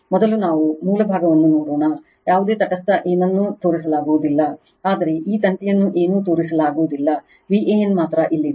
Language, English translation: Kannada, First let us see the source side no neutral nothing is shown, but that this wire nothing is shown only V a n is here